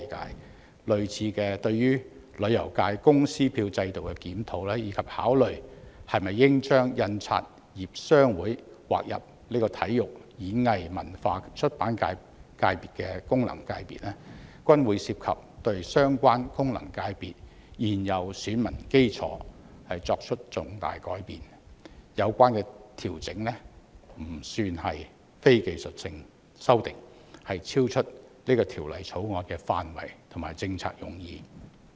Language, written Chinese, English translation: Cantonese, 同樣地，對於旅遊界功能界別公司票制度的檢討，以及考慮是否應將香港印刷業商會劃分入體育、演藝、文化及出版界功能界別，均會涉及對相關功能界別現有選民基礎作出重大改變，有關調整非技術性修訂，超出《條例草案》的範圍和政策用意。, Similarly regarding the review on the system of corporate votes in the Tourism FC and whether the inclusion of the Hong Kong Printers Association in the Sports Performing Arts Culture and Publication FC should be considered substantial changes to the existing electorate of the relevant FCs will be involved . The relevant revisions are not technical amendments and go beyond the scope and policy intent of the Bill